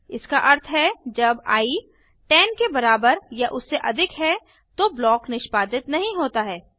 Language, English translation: Hindi, That means when i becomes more than or equal to 10, the block is not executed